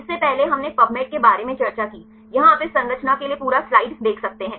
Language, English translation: Hindi, Earlier we discussed about the Pubmed, here you can see the full reference for this structure right